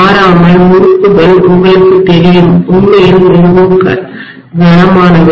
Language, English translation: Tamil, Invariably the windings are you know, really really heavy